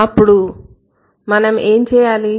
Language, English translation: Telugu, So, what are we going to do